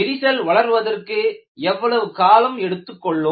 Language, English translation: Tamil, How long the crack will take to grow